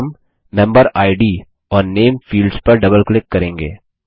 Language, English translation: Hindi, And we will double click on the MemberId and the Name fields